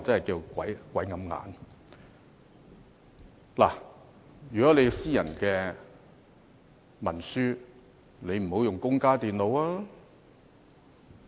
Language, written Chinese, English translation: Cantonese, 如果處理的是私人文書，便不應使用公家電腦。, For instance he should not use a computer in his office to process a private document